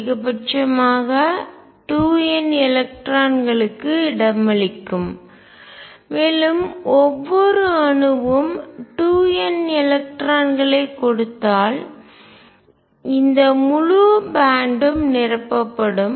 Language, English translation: Tamil, The maximum number of electrons can accommodate 2 n and if each atom gives 2 n electrons, this whole band would be filled